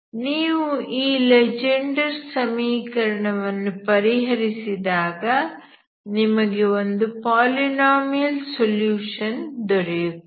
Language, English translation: Kannada, That is where if you actually solve the Legendre equation you get a polynomial solutions